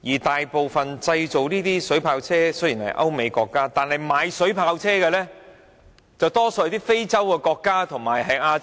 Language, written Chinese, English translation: Cantonese, 雖然製造水炮車的大多是歐美國家，但購買水炮車的則多數是非洲和亞洲國家。, Although the majority of water cannon vehicles are made in European countries and the United States most of the buyers of these vehicles are African and Asian countries